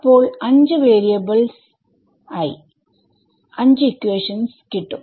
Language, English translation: Malayalam, So, there will be 5 variables